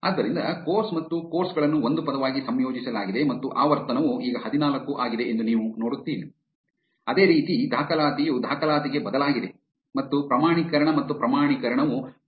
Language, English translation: Kannada, So, you see that course and courses have been combined into one word and the frequency is now fourteen; similarly enrollment has changed to enroll and certification and certify have changed to certif